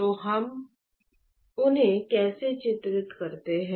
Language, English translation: Hindi, So, how do we characterize them